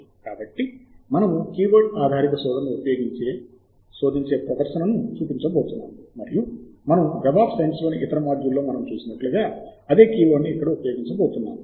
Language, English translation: Telugu, so we are going to show a demonstration using a keyword based searched, and we are going to use the same set of keywords as we have seen in the other module on web of science